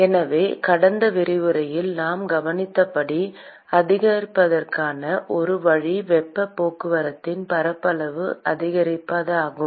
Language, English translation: Tamil, So, one way to increase, as we observed in the last lecture is to increase the surface area of heat transport